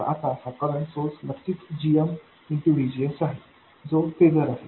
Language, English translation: Marathi, Now this current source of course is GM times VGS which is the phaser